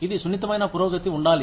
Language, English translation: Telugu, It should be smooth progression